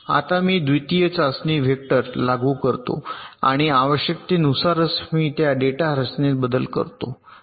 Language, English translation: Marathi, now i apply the second test vector and i make changes to those data structure only when required